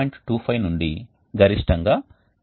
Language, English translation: Telugu, 25 to a max of around 10